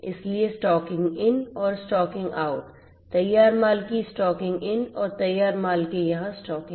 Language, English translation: Hindi, So, the stocking in and stocking out over here, stocking in of the finished goods and stocking out over here of the finished goods